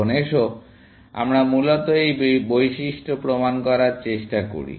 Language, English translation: Bengali, Now, let us try to prove this property, essentially